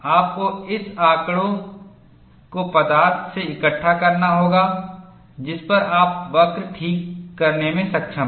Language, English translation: Hindi, You have to collect that data from the material, on which you have been able to fit the curve